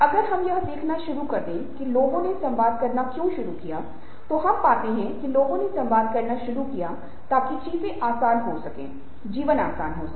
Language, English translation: Hindi, you see that if we start looking at why people started to communicate, then we find that people started communicating to make things easier, to make life easier